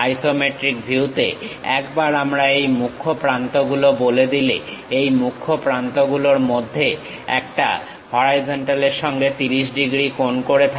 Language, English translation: Bengali, In the isometric view, once we define these principal edges; one of these principal edges makes 30 degrees with the horizontal